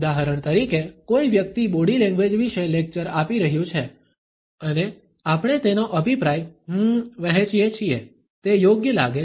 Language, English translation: Gujarati, For example, someone is holding a lecture about body language and we share his opinion hmm, that seems about right